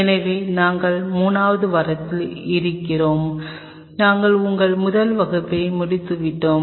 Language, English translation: Tamil, So, we are in week 3 and we have finished our first class